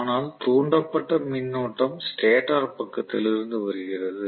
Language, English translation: Tamil, But the induced current is from the stator side it is like a transformer action